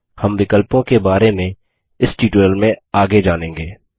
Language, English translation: Hindi, We will learn about the options as we go further in this tutorial